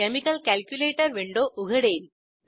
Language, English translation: Marathi, Chemical calculator window opens